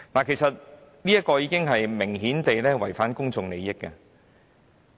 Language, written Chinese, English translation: Cantonese, 其實，這明顯已經違反了公眾利益。, Indeed apparently it was already a violation of public interest